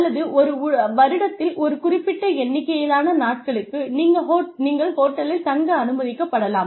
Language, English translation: Tamil, Or, you may be allowed to stay in the hotel, for a certain number of days, in a year